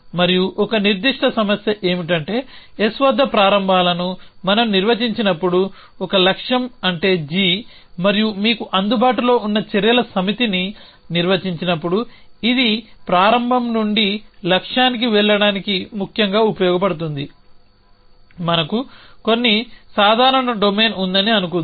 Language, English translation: Telugu, And a specific problem is when we have define the starts at s a goal say g and the set of actions that a available to you defines which can be use to go from start to goal; essentially